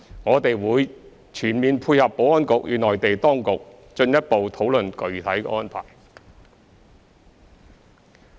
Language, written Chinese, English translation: Cantonese, 我們會全面配合保安局與內地當局進一步討論具體安排。, We will fully dovetail with the effort of the Security Bureau in further discussing the specific arrangements with the Mainland authorities